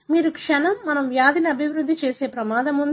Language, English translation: Telugu, The moment you have, we are at higher risk of developing a disease